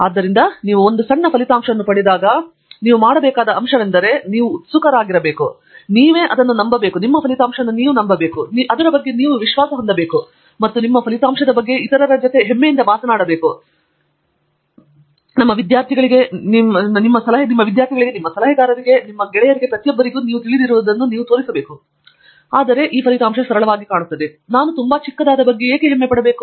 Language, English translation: Kannada, So, one for the point you want make about all these when you get a small result, you have to be first of all excited by it, you have to believe in it and you have to be confident about it and you have to proudly talk about it to others; your students, your advisor, everybody and you have to show that you know, simply it might look like, why should I be so proud about something so small